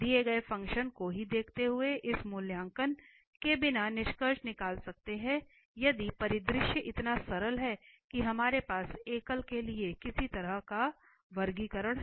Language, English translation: Hindi, Just looking at the given function itself we can conclude without evaluation if the scenario is that much simple that what kind of classification we have for the singularities